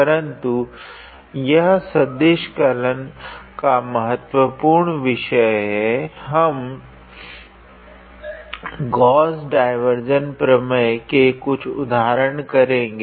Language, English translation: Hindi, But since it is a very important topic in vector calculus, we will continue practicing few more examples on Gauss divergence theorem